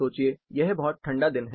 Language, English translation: Hindi, Imagine it is a very cold day